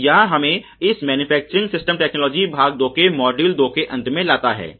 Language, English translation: Hindi, So, this brings us to the end of the module two of this Manufacturing Systems Technology, Part 2